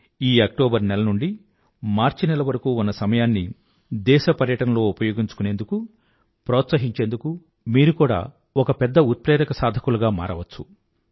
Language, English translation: Telugu, You can also act as a major catalyst in promoting the tourism of our country by utilizing the time from this October to March